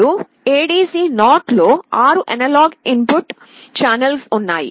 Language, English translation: Telugu, Now, in ADC0 there are 6 analog input channels